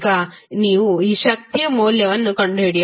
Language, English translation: Kannada, How will you find out the value of power p